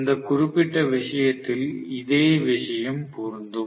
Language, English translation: Tamil, The same thing holds good in this particular case as well